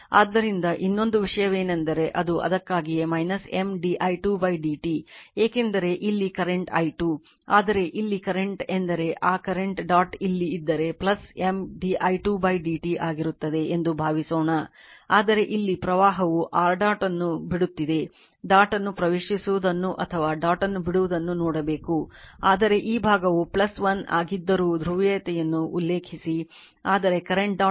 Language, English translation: Kannada, So, another another thing is thatyour that is why it is minus M d i 2 by d t because current here is i 2, but here current is if you put that current is dot is here by chance if you put suppose if you put dot is here right then it will be plus M d i 2 by d t, but question is that that current here your what you call leaving the dot; it is leaving the dot you have to see entering the dot or leaving the dot , but reference polarity although this side is plus 1, but current is leaving the dot